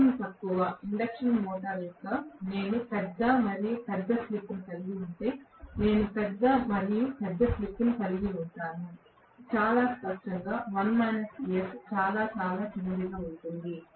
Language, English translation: Telugu, the lower the speed of the induction motor I am going to have larger and larger slip, if I have larger and larger slip; very clearly 1 minus S is going to be smaller and smaller